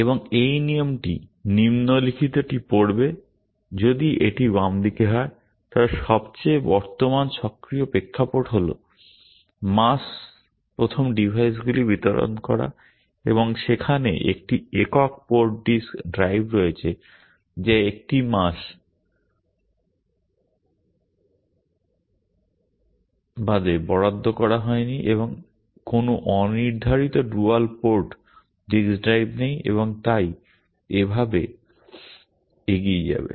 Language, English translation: Bengali, And this rule reads the following, if that is the left hand side, the most current active context is distributing mass first devices and there is a single port disk drive that has not been assigned to a mass bus and there are no unassigned dual port disk drive and so on and so forth